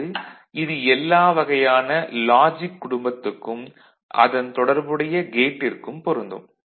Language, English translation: Tamil, And this is applied to any logic family and the corresponding gates ok